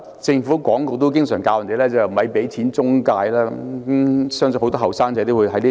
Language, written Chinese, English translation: Cantonese, 政府廣告也經常教我們別給錢中介，相信很多青年人也認同這一點。, In the Announcements of Public Interests the Government advices us not to give money to intermediaries; I believe many young people endorse this saying